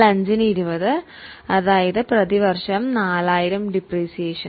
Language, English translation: Malayalam, So, 20 upon 5, that means 4,000 per annum is a depreciation